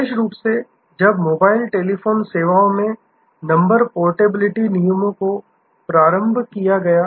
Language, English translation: Hindi, Particularly, when in mobile, telephone services, the number portability rules have been introduced